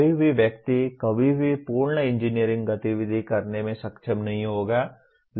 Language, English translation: Hindi, No single person will ever be able to perform a complete engineering activity